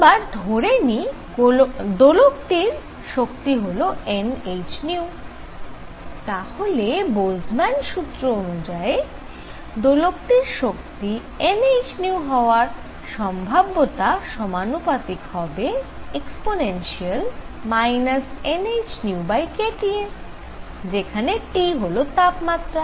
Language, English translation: Bengali, So, that let us suppose that the oscillator has energy n h nu then according to Boltzmann, the probability that it has energy n h nu, is proportional to e raised to minus n h nu over k T where T is the temperature